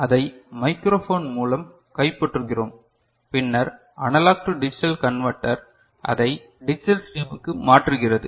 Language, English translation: Tamil, So, you have captured it through microphone and then analog to digital converter is converting it to a digital stream right